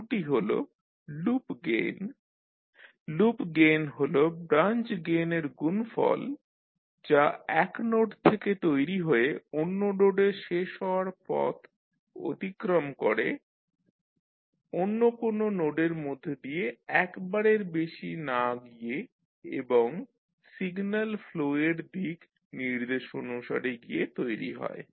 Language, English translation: Bengali, First is Loop gain, so loop gain is the product of branch gains formed by traversing the path that starts at a node and ends at the same node without passing through any other node more than once and following the direction of the signal flow